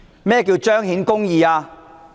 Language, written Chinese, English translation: Cantonese, 何謂彰顯公義？, What does manifesting justice mean?